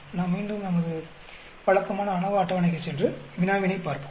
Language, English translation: Tamil, Let us go back to our usual ANOVA table and look at the problem